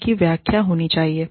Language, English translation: Hindi, They should be interpretable